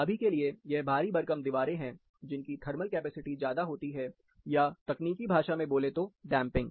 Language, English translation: Hindi, These are massive walls, which has more thermal capacity, are damping in technical terms